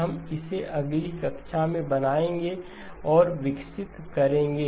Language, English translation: Hindi, We will build and develop this in the next class